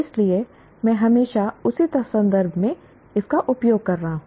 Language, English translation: Hindi, So I need to, I'm always using that in the same context